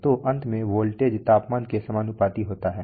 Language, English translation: Hindi, So finally the voltage is proportional to the temperature